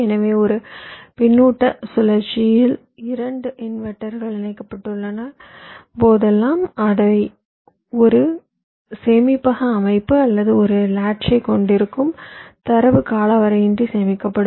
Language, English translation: Tamil, so whenever we have two inverters connected in a feedback loop that will constitute a storage system or a latch, the data will be stored in